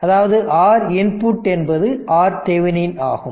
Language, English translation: Tamil, So; that means, R Norton is equal to R Thevenin